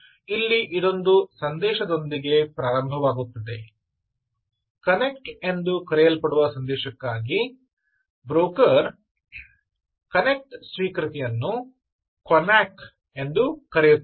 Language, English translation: Kannada, so it starts with a message, ah, message called connect, for which the broker will actually issue back connect connection acknowledgement, also called connack